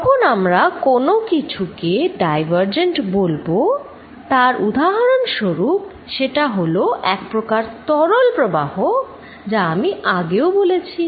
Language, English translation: Bengali, When we say something as diverging an example to define it would be a fluid flow which I talked about earlier